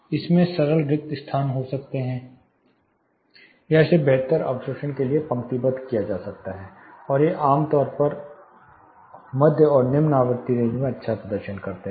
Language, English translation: Hindi, This signal can be, have simple void or this can be lined for improved absorption, and these are typically well performing in the mid and low frequency range